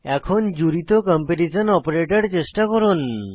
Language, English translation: Bengali, Now lets try the combined comparision operator